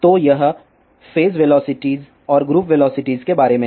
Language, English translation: Hindi, So, this is all about the phase velocity and group velocity